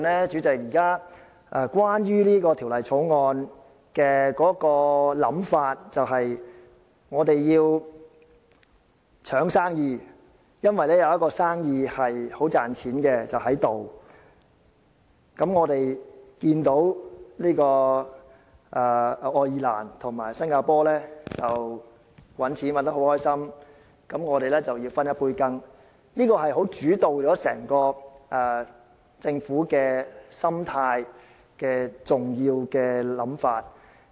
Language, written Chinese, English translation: Cantonese, 主席，在現時整項《條例草案》的討論中，有關想法就是我們要爭取生意，因為眼前有一宗生意很賺錢，我們看到愛爾蘭和新加坡賺錢賺得很高興，便想分一杯羹，這是主導了政府整個心態的重要想法。, President the reasoning behind the entire debate on the Bill is that we have to draw in business for a very lucrative business is now standing right in front of us . We see that Ireland and Singapore are making money happily and we want to partake in it . This is the crucial idea dominating the psychology of the Government